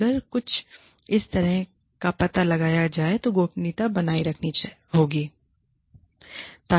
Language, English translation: Hindi, And whenever, if and when, this is discovered, confidentiality should be maintained